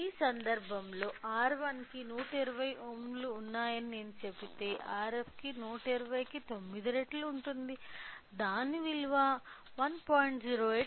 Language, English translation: Telugu, So, if I say R 1 has 120 ohm, so that R f will be 9 times of 120 the value will be 1